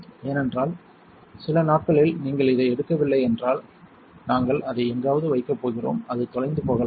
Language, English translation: Tamil, Because if you do not pick this up in a few days, we are going to put it somewhere and it might get lost